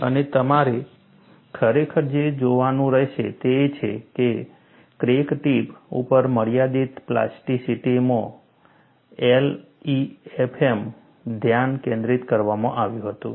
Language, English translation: Gujarati, And, what you will have to really look at is, limited plasticity at the crack tip was the focus in LEFM